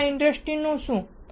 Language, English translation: Gujarati, What about other industries